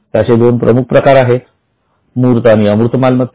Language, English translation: Marathi, There are two types tangible fixed assets and intangible fixed assets